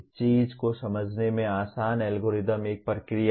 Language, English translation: Hindi, A easy to understand thing is an algorithm is a procedure